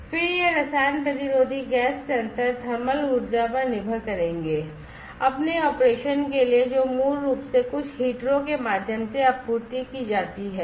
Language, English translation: Hindi, And then these chemi resistive gas sensors will depend on the thermal energy for it is operation which is basically supplied through some heater, right